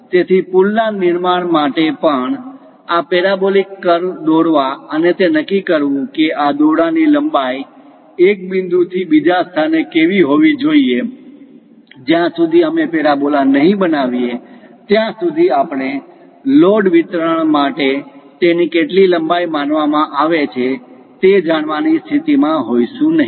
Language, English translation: Gujarati, So, for bridge construction also constructing these parabolic curves and determining what should be this rope length from one point to other point is very much required; unless we construct the parabola, we will not be in a position to know how much length it is supposed to have for the load distribution